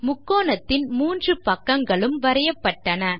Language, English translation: Tamil, 3 sides of the triangle are drawn